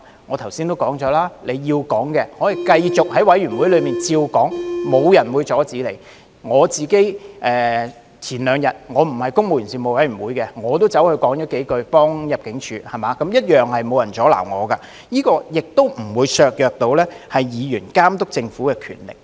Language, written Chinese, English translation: Cantonese, 我不是公務員及資助機構員工事務委員會的委員，但我兩天前也在會議上為入境事務處表達了一些意見，同樣沒有人阻撓我，這亦不會削弱議員監察政府的權力。, While I am not a member of the Panel on Public Service I could still express some views to the Immigration Department at its meeting held two days ago . Again no one stopped me and this will not undermine Members power to monitor the Government either